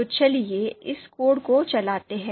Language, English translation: Hindi, So let’s run this code